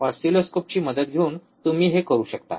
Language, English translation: Marathi, That you can do by taking help of the oscilloscope